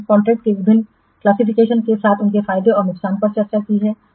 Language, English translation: Hindi, We have discussed the different classifications of contracts along with their advantages and disadvantages